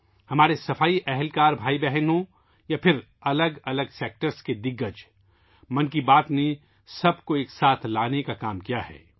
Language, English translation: Urdu, Be it sanitation personnel brothers and sisters or veterans from myriad sectors, 'Mann Ki Baat' has striven to bring everyone together